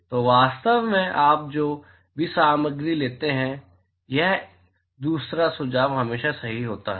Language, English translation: Hindi, So, in fact, any material you take, this second suggestion is always right